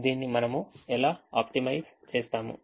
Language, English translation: Telugu, how do we optimise this